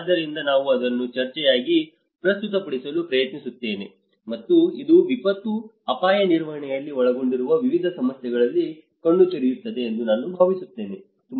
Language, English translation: Kannada, So, I just try to present it as a discussion and I think this will give you an eye opening for variety of issues which are involved in the disaster risk management